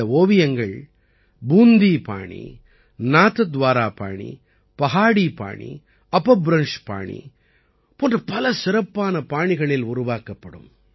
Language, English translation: Tamil, These paintings will be made in many distinctive styles such as the Bundi style, Nathdwara style, Pahari style and Apabhramsh style